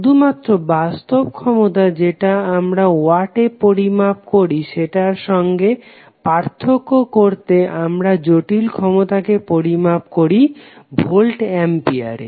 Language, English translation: Bengali, Just to distinguish between real power that is what we measure in watts, we measure complex power in terms of volt ampere